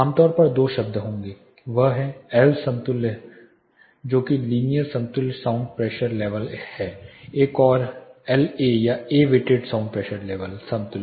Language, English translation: Hindi, Two terms will be commonly occurring that is L equivalent that is linear equivalent sound pressure level another is La or A weighted sound pressure level equivalent